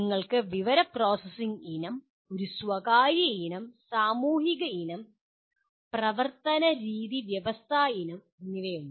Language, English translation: Malayalam, And you have information processing family, a personal family, social family, and behavioral system family